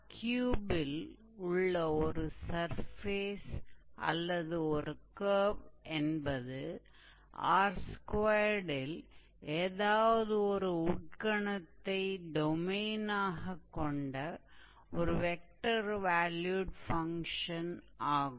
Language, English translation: Tamil, So, surface in R3, so a curve or a surface in R3 is a vector valued function whose domain is a subset of R2 and the range is a subset of R3, all right